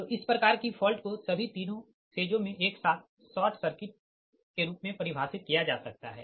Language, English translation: Hindi, so this type of fault can be defined as the simultaneous short circuit across all the three phases